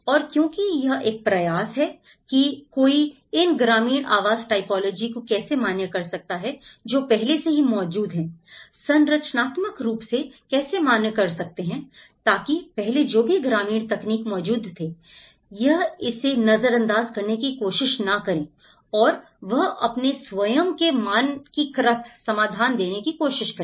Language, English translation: Hindi, And because it is an effort how one can validate these rural housing typology which are already existing you know, so how structurally one can validate how, so that earlier whatever the rural technology exists, they try to ignore it and they try to give their own uniform and standardized solution but this is an effort, how we can bring that local character still and how we can validate those techniques